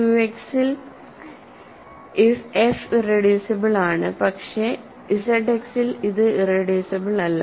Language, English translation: Malayalam, So, f is irreducible in Q X, but it is not irreducible in Z X